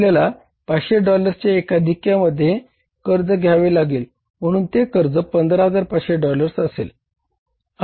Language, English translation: Marathi, So we had to borrow $15,500 because it has to be borrowed in the multiple of $500